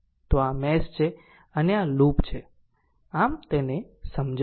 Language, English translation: Gujarati, So, this is mesh and this is loop right so, just let me clear it